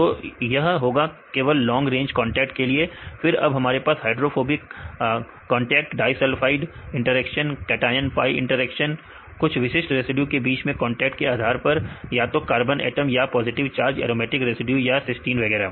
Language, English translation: Hindi, So, this will occurred only for the long range contacts right; then also we have the hydrophobic condacts disulfide interactions, cation pi interactions based on the contact between some specific residuals right whether the carbon atoms or the positive charge and aromatic residues right or the cysteine so on right